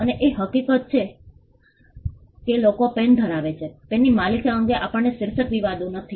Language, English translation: Gujarati, And the fact that pens are possessed by people, we do not have title disputes with regard to ownership of pens